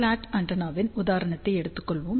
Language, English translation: Tamil, Let us take an example of a slot antenna